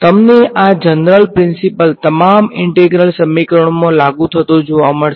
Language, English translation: Gujarati, You will find this general principle applied in all integral equation